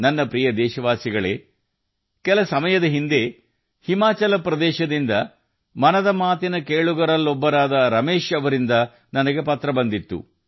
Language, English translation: Kannada, My dear countrymen, sometime back, I received a letter from Ramesh ji, a listener of 'Mann Ki Baat' from Himachal Pradesh